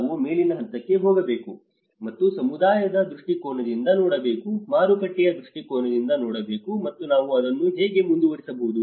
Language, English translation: Kannada, And one need to look from the community perspective, look from the market perspective, and this is how we can go ahead with it